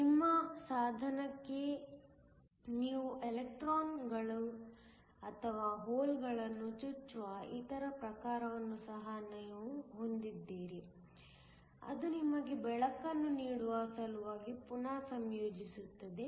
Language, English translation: Kannada, You also have the other type where you inject electrons or holes into your device, which then recombine in order to give you light